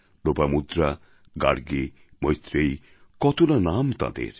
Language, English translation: Bengali, Lopamudra, Gargi, Maitreyee…it's a long list of names